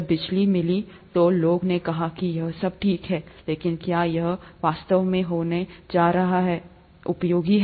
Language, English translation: Hindi, When electricity was found, people said all this is fine, but, is it really going to be useful